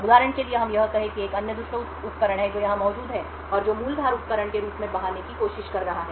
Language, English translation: Hindi, Now for instance let us say that there is another rogue device that is present here and which is trying to masquerade as the original edge device